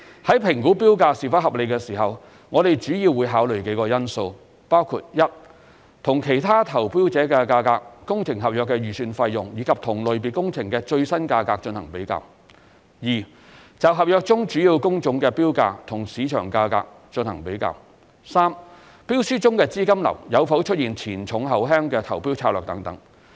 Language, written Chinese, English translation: Cantonese, 在評估標價是否合理時，我們主要會考慮幾個因素，包括 ：1 與其他投標者的價格、工程合約的預算費用，以及同類別工程的最新價格進行比較 ；2 就合約中主要工種的標價與市場價格進行比較 ；3 標書中的資金流有否出現"前重後輕"的投標策略等。, In assessing whether a tender price is reasonable or not we will consider several factors including 1 comparison of the tender price with those of other bidders the estimated contract value and the recent price of the same type of works; 2 comparison of the tender prices of the major types of works in the contract with the market prices; and 3 whether the tender has adopted a bidding strategy with a front - loaded cash flow